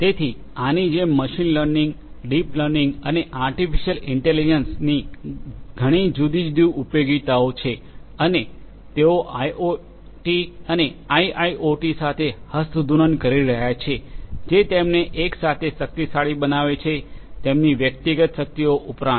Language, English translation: Gujarati, So, like this, there are many many different utility of machine learning, deep learning, and artificial intelligence and they are handshaking with IoT and IIoT, which make them powerful together in addition to having their individual strengths